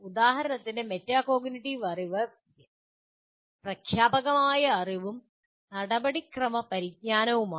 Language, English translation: Malayalam, For example, the metacognitive knowledge is considered to be declarative knowledge and procedural knowledge